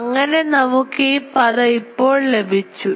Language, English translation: Malayalam, So, this term we have got now